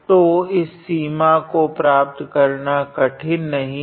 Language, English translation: Hindi, So, obtaining this limit is not complicated